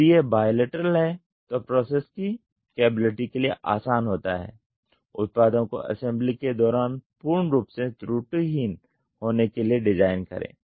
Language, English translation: Hindi, If it is bilateral it is easy for the process to the capability, design the products to be full proof during assembly